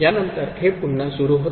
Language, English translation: Marathi, After that, again it starts repeating